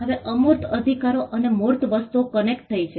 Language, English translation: Gujarati, Now, intangible rights and tangible things are connected